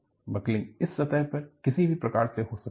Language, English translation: Hindi, Buckling can happen in this plane, either way